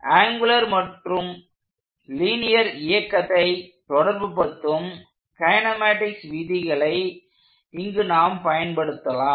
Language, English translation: Tamil, So, first thing we are going to do is apply the laws of kinematics, which relates the angular motion to the linear motion